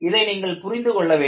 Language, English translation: Tamil, So, you need to understand this